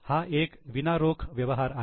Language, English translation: Marathi, It is a non cash item